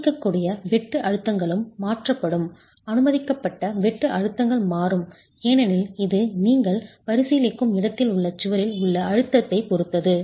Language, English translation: Tamil, Permissible shear stresses will change because it depends on the compressive stress in the wall in that location that you're considering